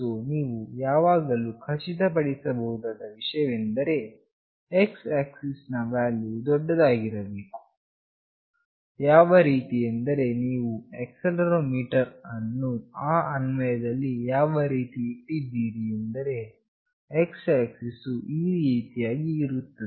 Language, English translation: Kannada, So, you can always make sure that the x axis value should be high such that you have put up this accelerometer in that application in such a way that x axis is like this